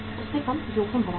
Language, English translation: Hindi, Lesser than that is risky